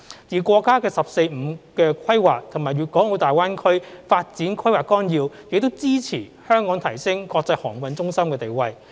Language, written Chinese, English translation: Cantonese, 而國家"十四五"規劃和《粵港澳大灣區發展規劃綱要》亦支持香港提升國際航運中心地位。, Moreover the National 14 Five - Year Plan and the Outline Development Plan for the Guangdong - Hong Kong - Macao Greater Bay Area also support Hong Kong to entrench its status as an international maritime centre